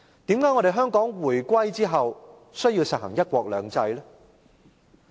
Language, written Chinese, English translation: Cantonese, 為何香港回歸後需要實行"一國兩制"？, Why does Hong Kong need to implement one country two systems following the reunification?